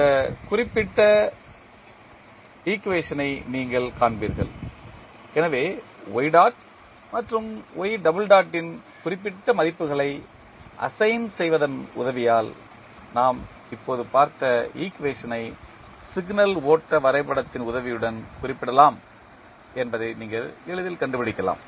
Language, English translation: Tamil, So, with the help of assigning the particular values of y dot and y double dot you can simply find out that the equation which we just saw can be represented with the help of signal flow graph